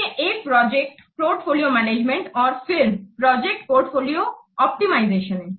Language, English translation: Hindi, Another is project portfolio management and then project portfolio optimization